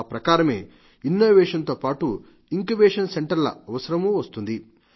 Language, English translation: Telugu, Similarly, innovations are directly connected to Incubation Centres